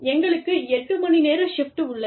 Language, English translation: Tamil, We have eight hours shift